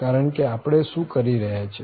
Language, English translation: Gujarati, Because here what we are doing